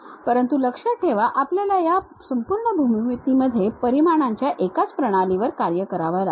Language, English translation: Marathi, But throughout your geometry remember that you have to work on one system of units